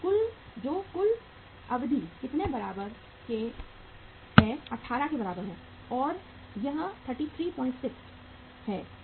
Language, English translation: Hindi, So how much it works out as total duration is 18 and that is 33